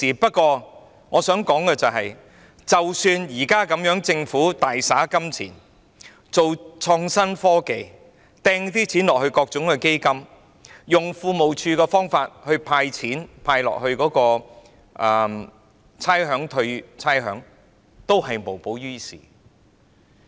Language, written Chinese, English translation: Cantonese, 不過，我想指出，即使政府現在大灑金錢，推行創新科技，撥款予各項基金，透過庫務署"派錢"，撥款由差餉物業估價署退還差餉，這樣也無補於事。, Nonetheless I have to point out that even if the Government spends lavishly now to promote IT allocate funding for various funds disbursing handouts through the Treasury and allocating funds for the Rating and Valuation Department to arrange for rates concession it will be in vain